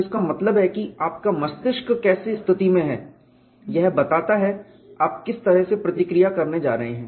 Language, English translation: Hindi, So that means, how your mind is conditioned is the way you are going to react